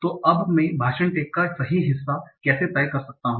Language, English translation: Hindi, Now, how do I decide the correct part of speech tag